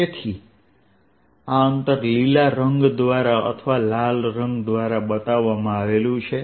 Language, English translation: Gujarati, so this distance shown by green or shown by red, is d